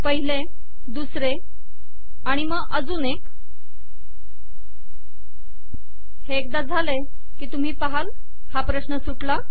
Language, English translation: Marathi, The first one, the second one, and then one more, it passes once, and you can see that it has been solved